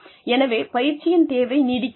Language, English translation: Tamil, So that, the need for training is sustained